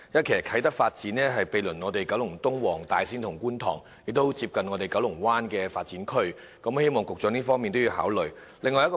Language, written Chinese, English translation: Cantonese, 其實，啟德發展區毗鄰九龍東、黃大仙和觀塘，亦非常接近九龍灣發展區，希望局長能同時考慮這一方面。, In fact the Kai Tak Development Area adjoins Kowloon East Wong Tai Sin and Kwun Tong and is located in close proximity to the development area in Kowloon Bay and I hope the Secretary would take this into consideration